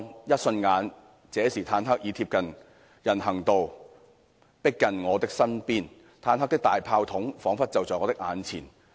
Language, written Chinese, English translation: Cantonese, 一瞬間，這時坦克已貼近人行道，迫近我的身邊，坦克的大炮筒彷彿就在我的眼前。, In no time the tank had pressed close to the pavement closing in on me . Its barrel seemed to be just right in front of my eyes